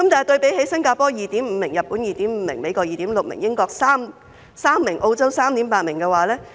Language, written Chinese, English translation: Cantonese, 對比之下，新加坡有 2.5 名、日本 2.5 名、美國 2.6 名、英國3名、澳洲 3.8 名。, By comparison the number of doctors per 1 000 population is 2.5 in Singapore 2.5 in Japan 2.6 in the United States 3 in the United Kingdom and 3.8 in Australia